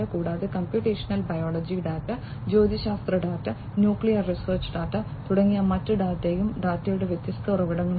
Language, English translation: Malayalam, And other data such as computational biology data, astronomy data, nuclear research data, these are the different sources of data